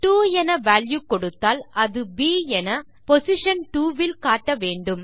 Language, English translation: Tamil, If I give the value two it would say B in position 2